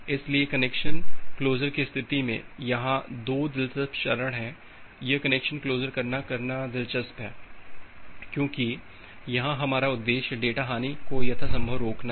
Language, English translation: Hindi, So, these are the 2 interesting steps here in case of connection closure and this connection closure is interesting because, here our objective is to prevent the data loss as much as possible